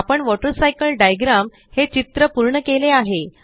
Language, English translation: Marathi, We have completed drawing the Water Cycle diagram